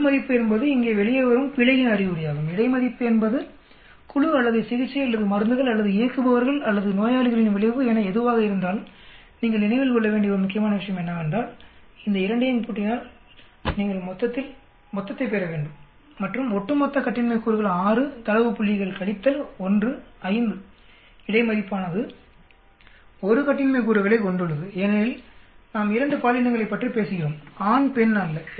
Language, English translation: Tamil, Within is an indication of the error that comes out here, between is the effect of the group or treatment or drugs or operators or patients whatever it is, then the total one important point you need to remember is, if you add up these two, you should get the total and the overall degrees of freedom 6 data point minus 1, 5, between has a degrees of freedom of 1 because we are talking about 2 genders not male female